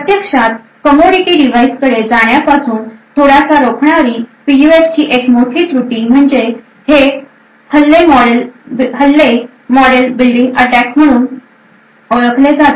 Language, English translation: Marathi, One of the major drawbacks of PUFs which is preventing it quite a bit from actually going to commodity devices is these attacks known as model building attacks